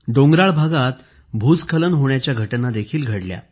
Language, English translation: Marathi, Landslides have also occurred in hilly areas